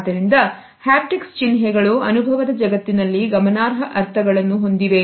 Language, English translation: Kannada, So, haptic symbols have significant meanings in the world of experience